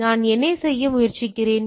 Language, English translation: Tamil, So, what I am trying to do